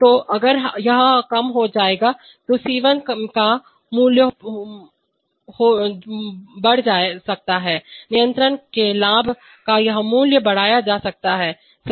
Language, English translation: Hindi, So, if it has reduced then the value of C1 which can be increased, this value of the gains of the controller can be increased, right